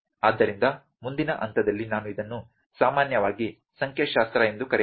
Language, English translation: Kannada, So, next point I can say here that this is generally known statistical